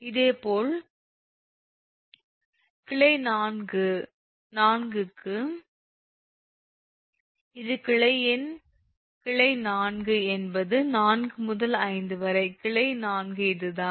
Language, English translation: Tamil, similarly, for branch four, it is branch four is four to five right branch four